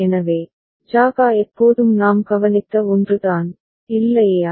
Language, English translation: Tamil, So, JA KA is always 1 that we have noted, is not it